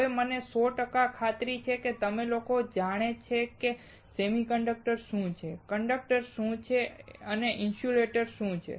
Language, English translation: Gujarati, Now I am hundred percent sure that you guys know what is a semiconductor, what is conductor, and what is insulator